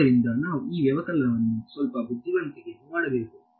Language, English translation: Kannada, So, we should do this subtraction a little bit intelligently right